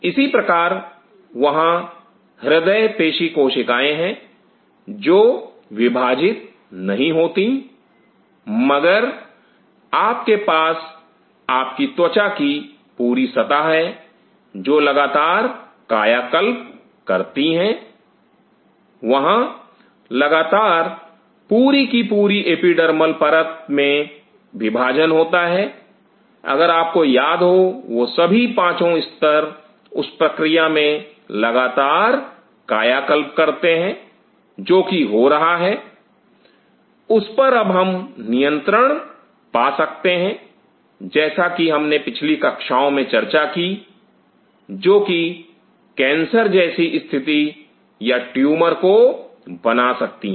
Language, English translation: Hindi, Similarly, there are cardio myocytes which do not divide yet you have your skin whole surface is a continuous rejuvenation, there is a continuous division which is taking place at the epidermal layer from all the way if you remember all the 5 layers there is continuously I rejuvenate in process which is happening, now a time that can we come on control as we have discussed in the previous class which may lead to cancer is like situation or tumor